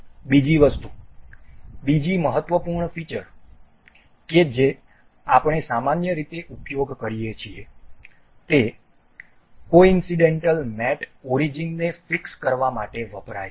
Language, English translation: Gujarati, Another thing, another important feature that we generally use this coincidental mate is to fix the origins